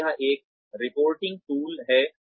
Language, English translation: Hindi, And, it is a reporting tool